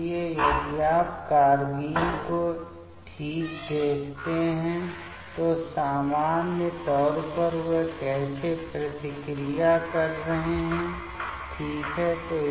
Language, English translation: Hindi, So, if you see these carbenes ok, so in general how they are reacting ok